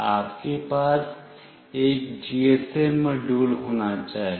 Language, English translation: Hindi, You should have a GSM module with you